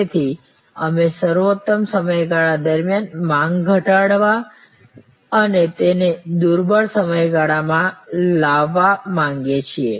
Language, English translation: Gujarati, So, we want to reduce the demand during peak period and bring it to the lean period